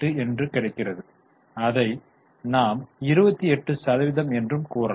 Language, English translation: Tamil, 38 let us express it as a percentage